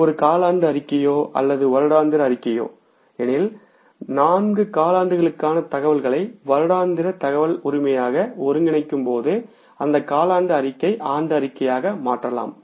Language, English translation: Tamil, Whether it is a quarterly statement or it is the annual statement, you can simply convert that quarterly statement into the annual statement when you consolidate the information for all the four quarters into the annual information